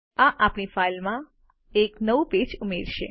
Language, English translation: Gujarati, This will add a new page to our file